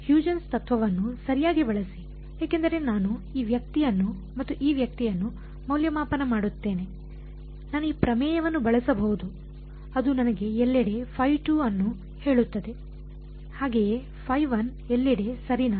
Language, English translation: Kannada, Use Huygens principle right because, ones I evaluate this guy and this guy I can use this theorem which will tell me phi 2 everywhere similarly, phi 1 everywhere right